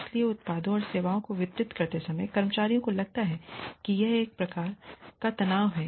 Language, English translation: Hindi, So, while delivering products and services, again the employees feel, a sort of stress